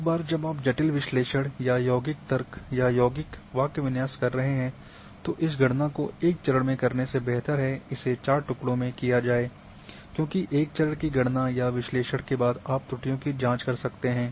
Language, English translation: Hindi, Once you are having complicated analysis or compound logic or compound syntax it is better to do it in four pieces instead of just one go because after one step of calculation or analysis you can check the errors